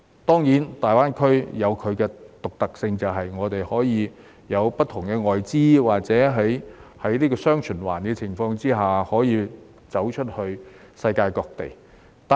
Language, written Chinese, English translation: Cantonese, 當然，大灣區有其獨特性，便是會有不同的外資，或是在"雙循環"的情況下走出去世界各地。, Of course GBA has its uniqueness ie . there are different foreign - funded enterprises or it is a gateway to various parts of the world under dual circulation